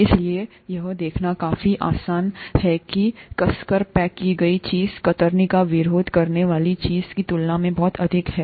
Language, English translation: Hindi, So it is quite easy to see that the tightly packed thing is going to resist shear much more than the loosely packed thing